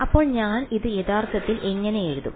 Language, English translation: Malayalam, So, how do I actually write this